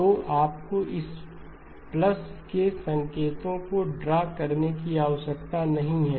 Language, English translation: Hindi, So you do not have to keep drawing this plus signs